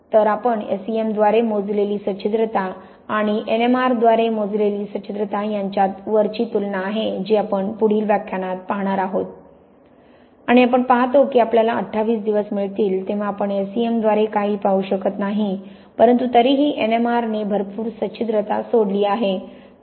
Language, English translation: Marathi, So, this is a comparison between the Porosity we measured by S E M here and those we measure by N M R which we are going to see in the next lecture and we see that by the time we got 28 days we can see hardly anything by S E M but we still got a lot of porosity left by N M R